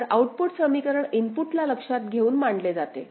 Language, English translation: Marathi, So, output equation considers the input as well